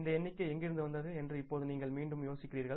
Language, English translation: Tamil, Now you will be again wondering from where this figure has come